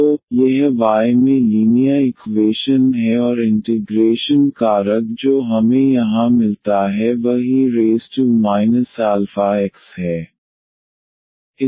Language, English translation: Hindi, So, this is linear equation in y and the integrating factor which we get here is a e power minus this alpha times x